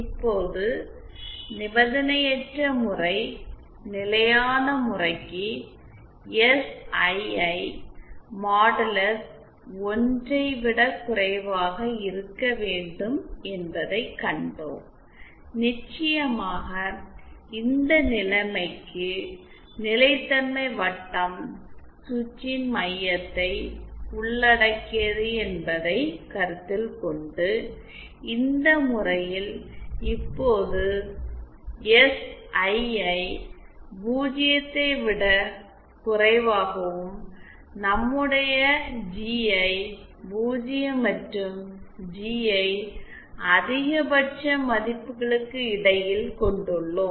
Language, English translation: Tamil, Now for an unconditionally case stable case we have seen that SII modulus should be lesser than 1, this is of course considering that this case where the stability circle is encompassing the center of the switch now for this case we have SII lesser than 0 and our GI is between 0 and some value GI max